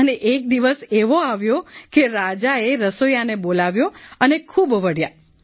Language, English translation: Gujarati, And then the day came when the king called the cook and scolded him a lot